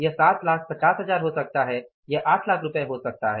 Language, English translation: Hindi, It can be 6 lakh worth of rupees, it can be 8 lakh worth of rupees